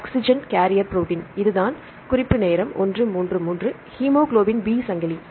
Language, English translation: Tamil, Yeah, transfer protein, oxygen carrier protein right this is hemoglobin B chain